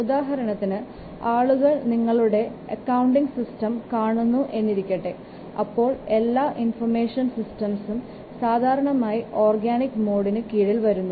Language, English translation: Malayalam, For example, if you will see your accounting system, all the information systems are normally coming under organic mode